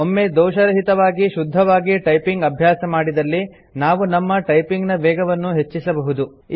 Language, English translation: Kannada, Once, we learn to type accurately, without mistakes, we can increase the typing speed